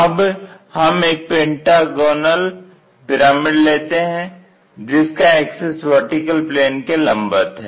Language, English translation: Hindi, Now, let us take a pyramid and its axis is perpendicular to vertical plane